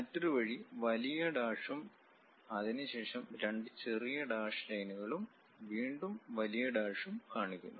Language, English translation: Malayalam, The other way is showing long dash followed by two dashed lines and again long dash